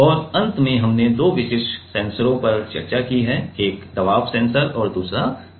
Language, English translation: Hindi, And finally, we have discussed two specific sensors: one is pressure sensor and another is accelerometer